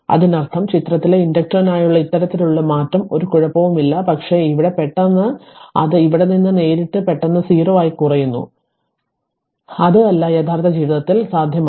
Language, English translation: Malayalam, That means, this kind of change for inductor in figure a it is an it is ok, but here abrupt suddenly it is directly suddenly from here it is falling to 0 it is it is not it is not possible in real life right